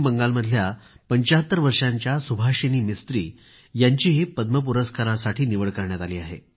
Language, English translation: Marathi, I would like to mention another name today, that of 75 year old Subhasini Mistri, hailing from West Bengal, who was selected for the award